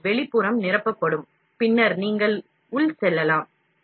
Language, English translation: Tamil, So, external will be filled and then you go for internal